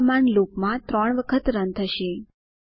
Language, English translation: Gujarati, These commands are run 3 times in a loop